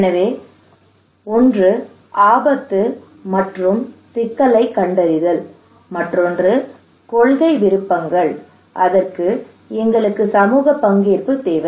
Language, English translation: Tamil, So one is the assessment, finding the problem of the risk; another one is the policy options, for that we need community participation